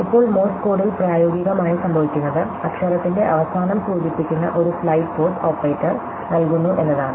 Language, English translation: Malayalam, Now, in practice in Morse code, what we used to happen is that the operator gives a slide pause indicating the end of the letter